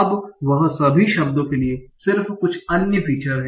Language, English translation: Hindi, Now he uses some other features for all the words